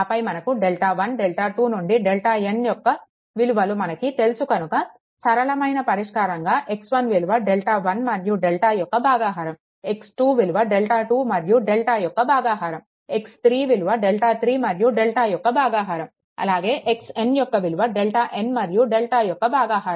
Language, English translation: Telugu, Then then direct solution then you will get ones delta 1, delta 2 up to delta n known, then x 1 is equal to delta 1 y delta x 2 is equal to your delta 2 y delta, x 3 is equal to delta ah 3 y delta up to xl is equal to delta n y delta